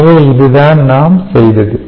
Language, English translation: Tamil, so therefore, this is what we did